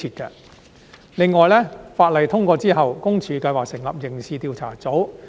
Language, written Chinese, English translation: Cantonese, 此外，當法例通過後，私隱公署計劃成立刑事調查組。, In addition PCPD plans to set up a criminal investigation unit after the legislation is passed